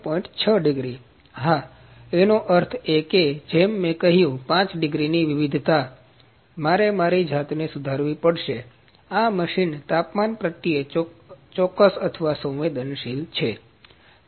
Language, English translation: Gujarati, 6 degrees is for the bed, yes; that means, as I said 5 degree variation, I will have to correct myself this machine is quite precise or sensitive to temperature